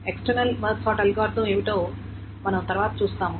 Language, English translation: Telugu, And we will see what the external March sort algorithm next